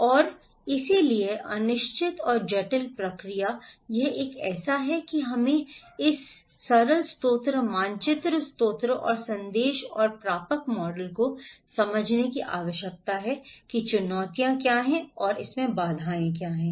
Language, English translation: Hindi, And so, uncertain and complex process this one so, that we need to understand this simple source map source and message and receivers model how what are the challenge and barriers are there